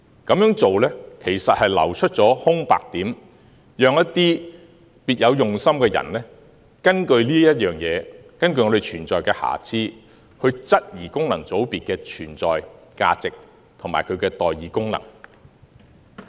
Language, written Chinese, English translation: Cantonese, 這樣做其實會流出空白點，讓一些別有用心的人根據我們存在的瑕疵，質疑功能界別的存在價值和代議功能。, This failure will create room for people with ulterior motives to use the imperfections to question the value of existence and the function of representation of FCs